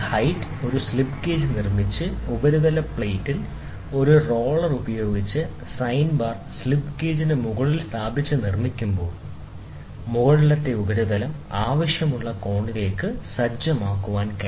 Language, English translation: Malayalam, When a building by building a slip gauge of height h and placing the sine bar on the surface plate with one roller on the top of the slip gauge, the upper surface can be set to a desired angle